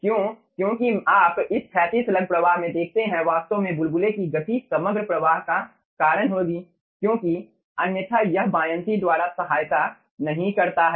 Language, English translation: Hindi, because you see, in this horizontal slug flow, actually the movement of the bubble will be causing the overall flow because otherwise, ah, it is not assisted by buoyancy, the flow is not assisted by buoyancy